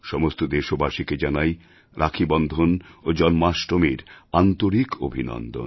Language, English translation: Bengali, Heartiest greetings to all countrymen on the festive occasions of Rakshabandhanand Janmashtami